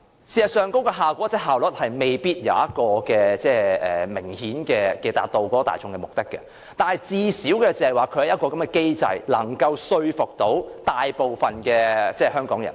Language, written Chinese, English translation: Cantonese, 事實上，那效果或效率未必可以明顯達到大眾的期望，但最少也有一個機制能夠說服大部分香港人。, Though the Office may not produce an effect or show the efficiency that well meets the publics expectation at least it can convince most Hong Kong people that a system is present